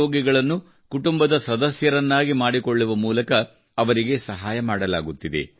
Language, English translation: Kannada, patients are being helped by making them family members